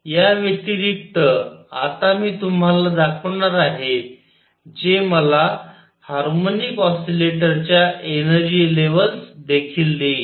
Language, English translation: Marathi, In addition, now I am going to show you that will give me the energy levels of a harmonic oscillator also